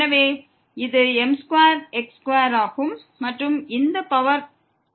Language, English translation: Tamil, So, this is square square and power this 3